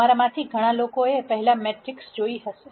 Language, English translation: Gujarati, Many of you would have seen matrices before